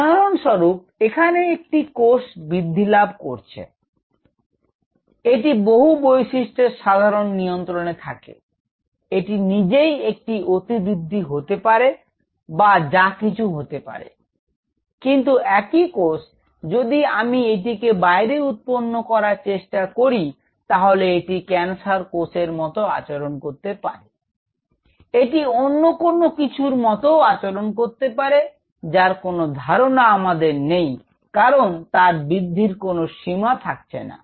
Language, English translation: Bengali, Say for example, a cell which is growing here, it is under normal control of several parameters, it can their own be any out growth or anything, but same cell, there is a possibility if I take it and grow it outside, it may behave like a cancer cell, it may behave like something else which we have no clue because it does not have any restriction boundaries it can grow